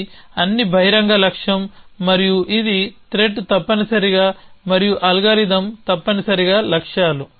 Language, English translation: Telugu, So, this is all the open goal and this for the threat essentially and algorithm essentially goals